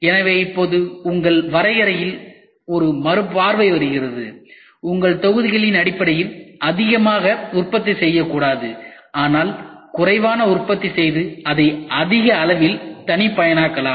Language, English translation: Tamil, So, now, comes a relook into your definition we are not supposed to produce more in terms of batches, but produce less, but make it more mass customized